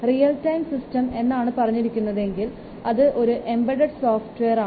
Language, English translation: Malayalam, So, if it is a real time system means this an embedded software